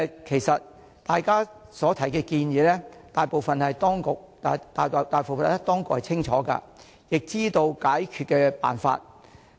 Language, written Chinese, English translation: Cantonese, 其實，大家提出的建議，大部分當局是清楚的，亦知道解決的辦法。, Actually the authorities concerned understand most of our proposals well and know how to solve those problems